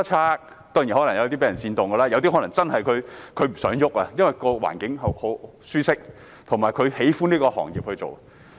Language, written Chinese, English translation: Cantonese, 有些當然可能是被煽動的，有些可能真的不想改變，因為環境舒適及喜歡從事這個行業。, Certainly some of them may be incited by others . Yet it is true that some of them do not want any change for they consider the environment comfortable and like to engage in farming